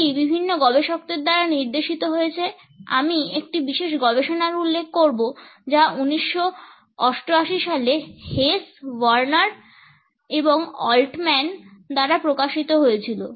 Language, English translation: Bengali, This has been pointed out by various researchers, I would refer to a particular research which was published in 1988 by Hesse, Werner and Altman